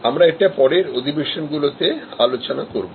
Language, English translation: Bengali, We will discuss that at a subsequent session